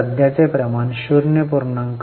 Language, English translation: Marathi, So, current ratio is 0